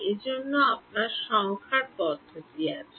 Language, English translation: Bengali, That is why you have numerical methods